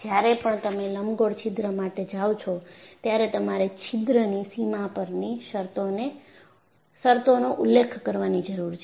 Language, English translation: Gujarati, So, the moment you to go an elliptical hole, you need to specify the boundary conditions on the boundary of the hole